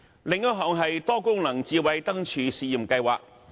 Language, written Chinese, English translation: Cantonese, 另一項是多功能智慧燈柱試驗計劃。, Another one is a pilot Multi - functional Smart Lampposts scheme